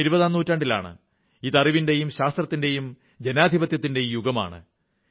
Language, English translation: Malayalam, We live in the 21st century, that is the era of knowledge, science and democracy